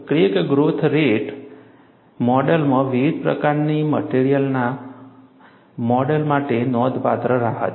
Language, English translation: Gujarati, The crack growth rate model has considerable flexibility to model a wide variety of materials